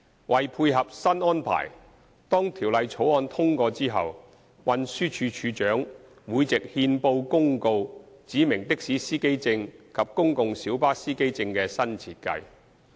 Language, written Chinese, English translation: Cantonese, 為配合新安排，當《條例草案》通過後，運輸署署長會藉憲報公告指明的士司機證及公共小巴司機證的新設計。, To tie in with the new arrangement the Commissioner for Transport will upon the passage of the Bill specify by notice in the Gazette a new design for taxi and PLB driver identity plates